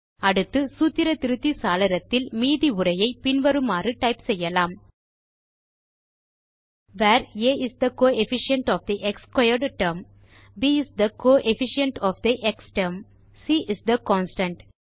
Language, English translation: Tamil, Next let us type the rest of the text as follows in the Formula Editor window: Where a is the coefficient of the x squared term, b is the coefficient of the x term, c is the constant